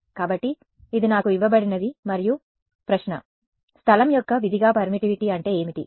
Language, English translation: Telugu, So, this is what is given to me and the question is: what is permittivity as a function of space